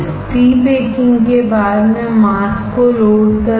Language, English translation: Hindi, After pre baking I will load the mask